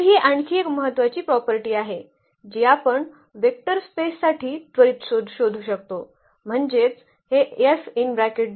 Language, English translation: Marathi, So, that is another important property which we can quickly look for the vector spaces; that means, this F 0 must be equal to 0